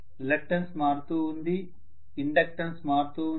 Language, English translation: Telugu, The reluctance is changing, the inductance is changing